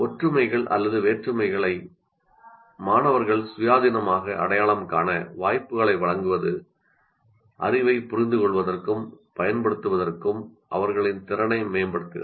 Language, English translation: Tamil, Providing opportunities to students independently identifying similarities and differences enhances their ability to understand and use knowledge